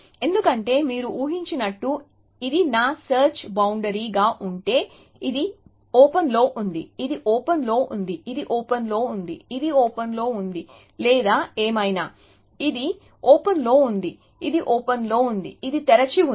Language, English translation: Telugu, Because, as you can imagine, if this was to be my search frontier which means, this is on open, this is on open, this is on open, this is on open or whatever, this is on open, this is on open, this is on open